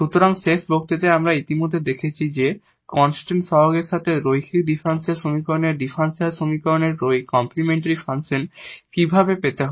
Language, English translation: Bengali, So, in the last lecture, we have already seen that how to get complementary function of the differential equation of the linear differential equation with constant coefficient